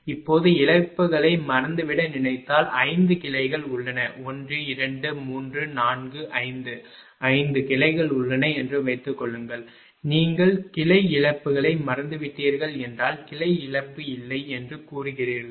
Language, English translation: Tamil, Now, if you think forget about losses all there are 5 branches 1, 2, 3, 4, 5 suppose there are 5 branches you forget about the branch losses say there is no branch loss right